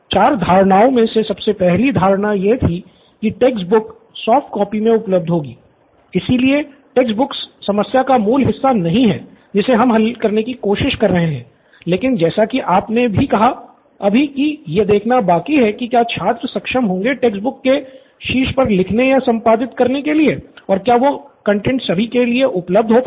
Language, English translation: Hindi, So the first assumption, one of the fourth assumption was the textbook would be available in soft copies, so again textbook is not the core part of the problem that we are trying to solve but we still would want to see if students would have the ability to like you mention write on top or edit on top of textbooks and that contain also can be available for everyone